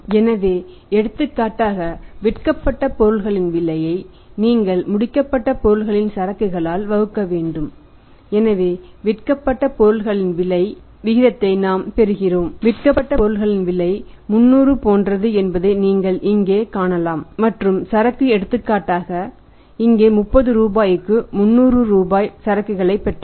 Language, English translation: Tamil, So, for example you calculate this cost of goods sold divided by the finished goods inventory so we get this ratio that cost of goods sold his say; You can see here that cost of goods sold is something like 300 and the inventory is for example here is say for 30 rupees 300 rupees received 30 rupees inventory